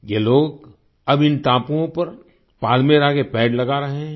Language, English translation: Hindi, These people are now planting Palmyra trees on these islands